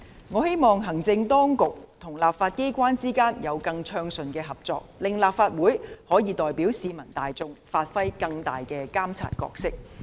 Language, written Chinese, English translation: Cantonese, 我希望行政當局與立法機關之間有更暢順的合作，令立法會可以代表市民大眾，發揮更大的監察角色。, I hope that there will be more smooth cooperation between the Administration and the legislature so that the Legislative Council can play a greater monitoring role on behalf of the public